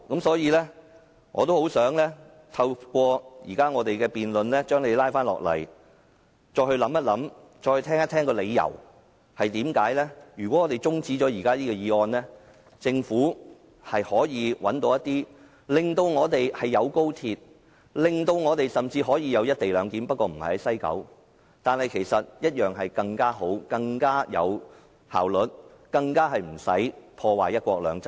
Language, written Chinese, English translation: Cantonese, 所以，我也希望透過現在的辯論，將他拉回來再作考慮，聽一聽為甚麼如果我們中止這個議案，政府一樣可以找出方案，令我們既有高鐵，甚至也有"一地兩檢"，不過不設在西九龍站，但更好、更有效率，而無須破壞"一國兩制"。, Hence I hope to pull his mind back here through this debate and let him know that if this motion is adjourned the Government can find a better and more efficient option without undermining one country two systems in which case we will still have XRL and even co - location only that it will not be at the West Kowloon Station